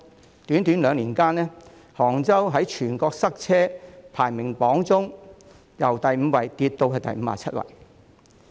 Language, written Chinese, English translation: Cantonese, 在短短兩年間，杭州在全國塞車排名榜中由第五位跌至第五十七位。, In just two years Hangzhou dropped from 5 to 57 in the traffic jam ranking of cities in China